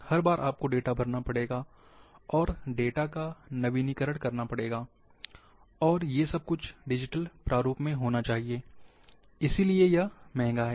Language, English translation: Hindi, Every time you have to feed the data, update the data, and everything has to be in digital format, and it is expensive as well